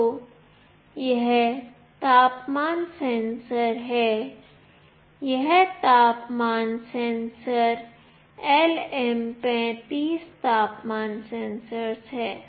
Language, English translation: Hindi, So, this is the temperature sensor, this temperature sensor is LM35 temperature sensor